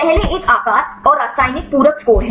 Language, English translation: Hindi, First one is the shape and chemical complementary score